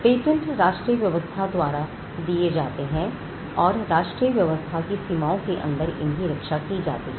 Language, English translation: Hindi, Patents are granted by the national regimes and protected within the boundaries of the national regime